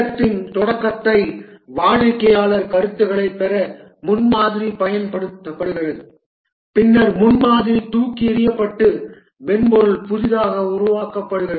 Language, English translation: Tamil, The prototype is used to get customer feedback, the start of the project and then the prototype is thrown away and the software is developed fresh